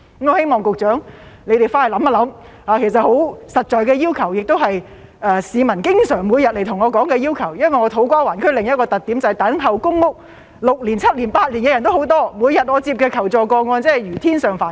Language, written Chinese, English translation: Cantonese, 我希望局長回去想一想，其實這些只是十分實在的要求，也是市民每天前來跟我說的要求，因為我服務的土瓜灣區的另一個特點，就是等候公屋6年、7年、8年的人也有很多，我每天接獲的求助個案如天上繁星。, I hope the Secretary will think about this . In fact these are only very realistic demands and they are the demands of the people who come to me every day . Another characteristic of the To Kwa Wan district I serve is that there are many people who have been waiting for PRH for six seven or eight years and the requests for help I receive every day are as numerous as stars in the sky